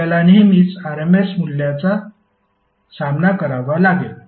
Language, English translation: Marathi, You will always encounter the RMS value